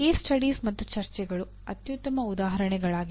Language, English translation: Kannada, Case studies and discussions are the best examples